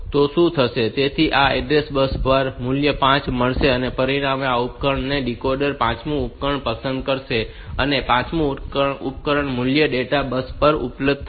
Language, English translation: Gujarati, So, it will put the value 5 on to this address bus and as a result this device this decoder will select one the fifth device and the fifth device value will be available on to the data bus